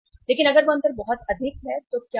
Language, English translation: Hindi, But if that difference is very high then what will happen